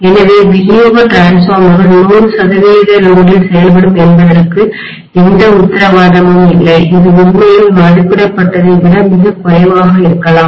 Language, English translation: Tamil, So there is no guarantee that distribution transformers will function at 100 percent load, it may be much less than what is actually it is rated for, is this understood